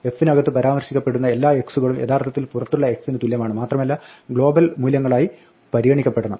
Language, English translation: Malayalam, All x’s referred to in f are actually the same as the x outside and to be treated as global values